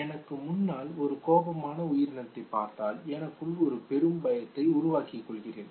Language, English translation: Tamil, If I look at an angry creature in front of me I developed great degree of fear okay